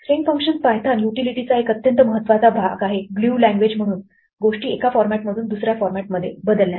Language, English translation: Marathi, String functions are an extremely important part of Pythons utility as a glue language for transforming things from one format to another